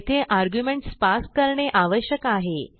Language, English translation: Marathi, So we need to pass arguments